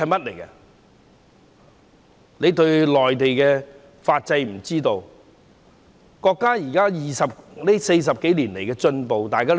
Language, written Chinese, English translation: Cantonese, 他們對內地的法制和國家40多年來的進步不了解。, They do not understand the judicial system in the Mainland and the progress made by the country in the past some 40 years